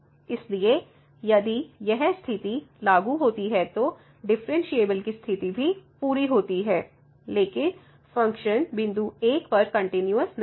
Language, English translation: Hindi, So, this condition is met differentiability condition is met, but the function is not continuous at 1